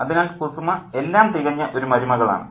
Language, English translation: Malayalam, So, Khuzuma is a perfect daughter in law